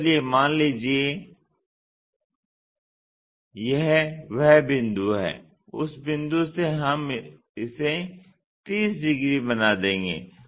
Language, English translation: Hindi, So, let us assume this is the point from that point we will make it 30 degrees